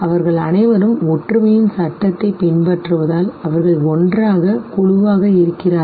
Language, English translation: Tamil, All of them they tend to group together because they follow the law of similarity